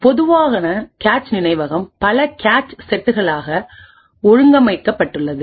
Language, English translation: Tamil, So, a typical cache memory is organized into several cache sets